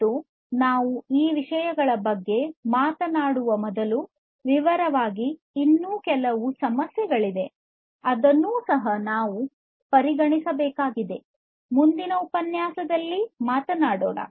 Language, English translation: Kannada, And before you know we talk about those things in detail, there are a few other issues that also need to be considered and that is what we are going to talk about in the next lecture